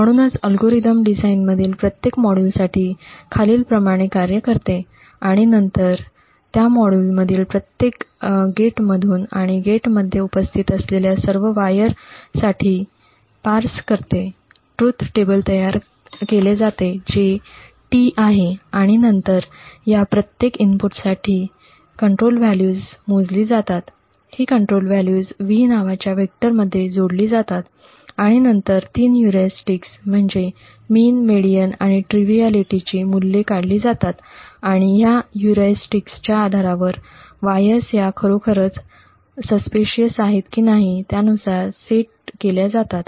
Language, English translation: Marathi, So the algorithm works as follows for each module in the design and then parsing through each gate in that module and for all the wires that are present in the gate, the truth table is built that is T and then control values are computed for each of these inputs, these control values are added to a vector called V and then the three heuristics mean, median and triviality are computed and based on these heuristics, wires are actually set to whether being suspicious or not being suspicious